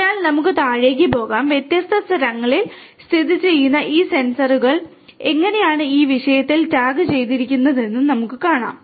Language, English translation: Malayalam, So, let us go downstairs and there we can see that how these sensors located at different places are tagged in this thing